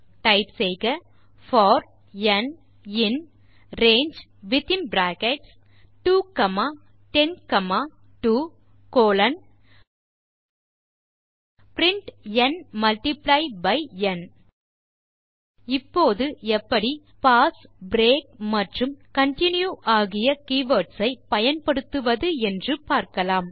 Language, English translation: Tamil, Switch to the terminal Type for n in range within bracket 2 comma 10 comma 2 colon print n multiply by n Let us now look at how to use the keywords, pass , break and continue